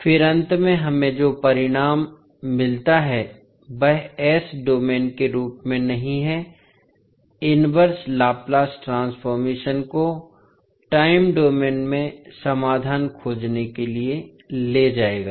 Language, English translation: Hindi, And then finally what result we get that is not as s domain will take the inverse laplace transform to find the solution in time domain